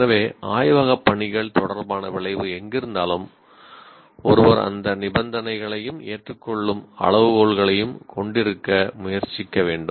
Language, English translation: Tamil, So, wherever there is a laboratory work is involved, a outcome related to laboratory work is there, one should attempt to have those conditions as well as criteria of acceptance